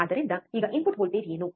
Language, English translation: Kannada, What is the input voltage